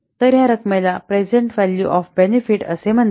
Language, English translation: Marathi, So, this amount is called the present value of the benefit